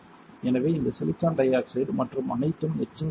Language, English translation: Tamil, So, this silicon dioxide and everything will get etched